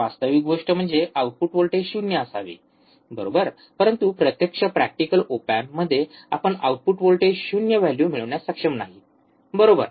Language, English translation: Marathi, Actual thing is, the output voltage should be 0 right, but in actual op amp in the practical op amp, we are not able to get the value output voltage 0, right